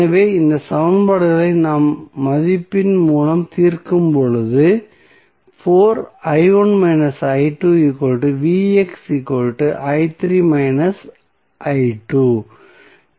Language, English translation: Tamil, Now, if you simplify this equation what you will get